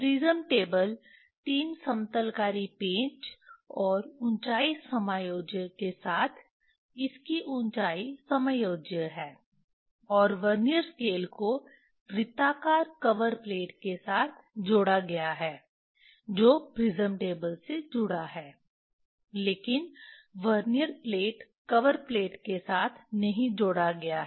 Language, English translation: Hindi, prism table with 3 leveling screw and height adjustable, its height is adjustable, and Vernier scale is attached with circular cover plate which is prism table is attached, but not fixed with the Vernier plate, cover plate